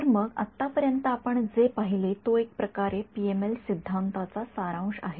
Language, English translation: Marathi, Right so, this is what we are seen so far of a sort of summary of the PML theory right